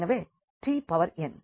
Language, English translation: Tamil, So, what is the R n